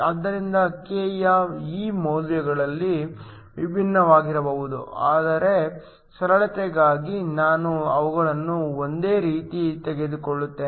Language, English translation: Kannada, So, These values of k can be different, but for simplicity let me just take them to be the same